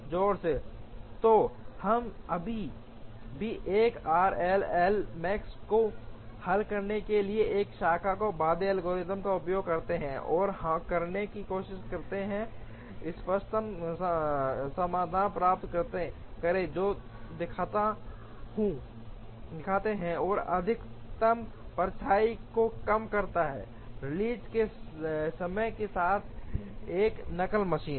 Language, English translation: Hindi, So, we still use this branch and bound algorithm to solve 1 r j L max, and try to get the optimum solution which shows the, which minimizes the maximum tardiness, on a single machine with release times